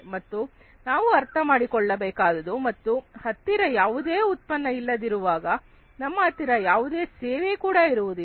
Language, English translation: Kannada, And we can understand that if you do not have product, you do not have its services